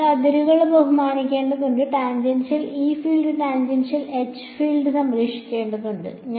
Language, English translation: Malayalam, So, what is to be respected on the boundaries tangential e field tangential h field has to be conserved